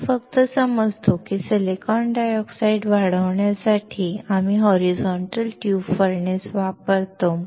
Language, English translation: Marathi, We just understand that for growing the silicon dioxide, we use horizontal tube furnace